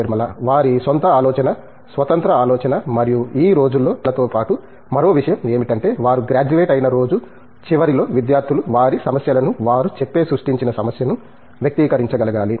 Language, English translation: Telugu, Their own thinking, the independent thinking and I think one more thing in addition to publication these days is, at the end of the day when they graduate the students must be able to articulate their problems, the problem that they create